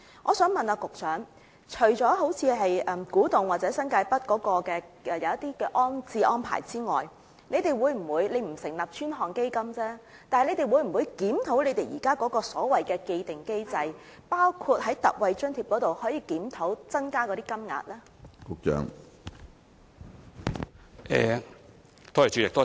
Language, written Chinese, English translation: Cantonese, 我想問局長，除了古洞和新界北的安置安排外，如果不成立專項基金，政府會否考慮檢討現時的既定機制，包括檢討特惠津貼以增加金額呢？, I wish to ask the Secretary this question . If the Government does not establish dedicated funds apart from the rehousing arrangements for KTN and New Territories North will it consider reviewing the existing established mechanism including reviewing ex - gratia allowances for an increase in amount?